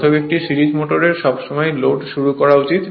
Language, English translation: Bengali, Therefore, a series motor should always be started on load